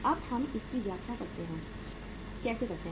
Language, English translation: Hindi, Now how do we interpret it